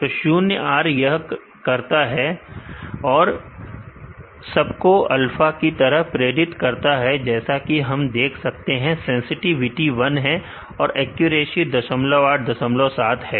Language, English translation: Hindi, So, ZeroR does it predicts everything as alpha as he could see the sensitivity is 1 and, accuracy is 0